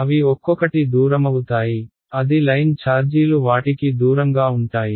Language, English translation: Telugu, They will move away from each other, they are line charges they will move away